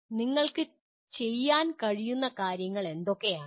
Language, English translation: Malayalam, What are the things you should be able to do